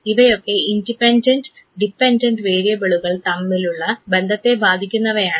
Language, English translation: Malayalam, These are those variables which affects the relationship between the independent and the dependent variable